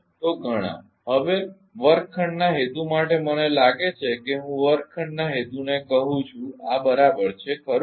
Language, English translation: Gujarati, Now, for the classroom purpose I think I call the classroom purpose this is ok, right